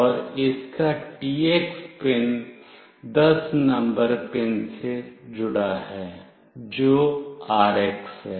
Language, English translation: Hindi, And TX pin of this is connected to pin number 10, which is the RX